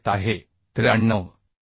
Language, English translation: Marathi, 91 which is coming 93